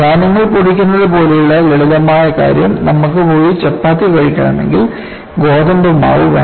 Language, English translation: Malayalam, Simple thing like grinding of grains; if you want to go and have chapattis you need to have wheat flour